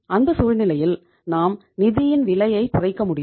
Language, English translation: Tamil, We will be able to minimize the cost of funds